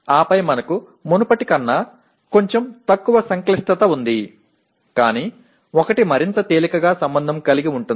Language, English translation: Telugu, And then we have a slightly less complicated than the previous one but something that one can relate more easily